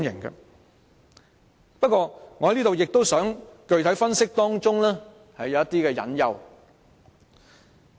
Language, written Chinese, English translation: Cantonese, 然而，我亦想在此具體分析當中的一些隱憂。, Having said that I would like to specifically analyse some of the hidden concerns